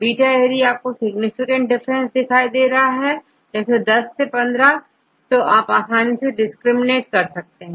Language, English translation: Hindi, Beta see you for the different is significant very high 10 15 difference then easily you can discriminate